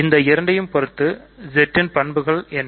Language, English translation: Tamil, So, with respect to these two, what are the properties of Z